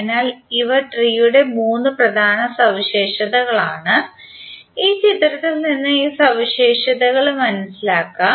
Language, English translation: Malayalam, So these are the three major properties of tree and let us understand this property from this figure